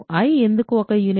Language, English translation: Telugu, Why is i a unit